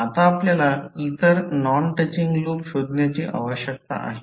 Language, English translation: Marathi, Now, next we need to find out the other non touching loops